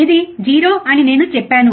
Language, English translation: Telugu, I said this is 0, right